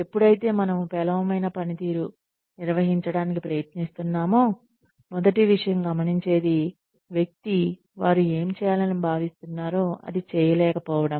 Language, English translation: Telugu, When, we are trying to manage poor performance, the first thing, we notice is that, the person does not do, what they are expected to do